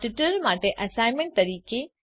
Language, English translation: Gujarati, As an Assignment for this tutorial